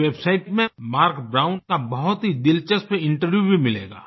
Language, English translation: Hindi, You can also find a very interesting interview of Marc Brown on this website